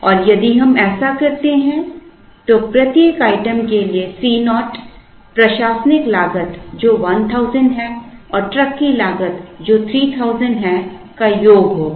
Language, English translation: Hindi, And if we do that, C naught for each item will be the sum of the admin cost which is 1000 and the truck cost which is 3000